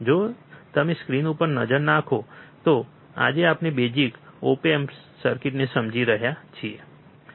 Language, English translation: Gujarati, So, if you look at the screen, today we are understanding the basic op amp circuits